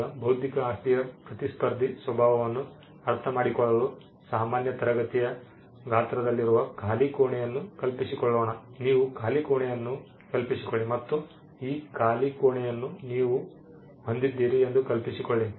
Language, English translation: Kannada, Now, to understand non rivalrous nature of intellectual property, let us look imagine empty room an empty room which is in the size of a normal classroom, you just imagine an empty room and imagine that you own this empty room you have complete power over this empty room